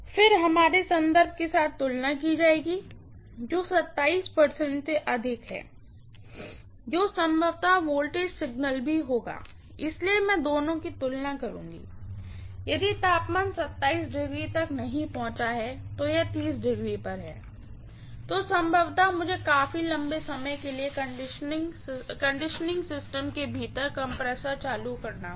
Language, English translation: Hindi, Then that will be compared with our reference which is corresponding to 27° that will also be probably are voltage signal, so I will compare the two, if the temperature has not reached 27 as yet, it is at 30°, then probably I will have to turn ON the compressor within the conditioning system for quite a long time